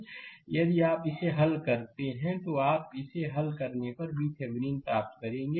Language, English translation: Hindi, So, the if you solve this, you will get V Thevenin if you solve it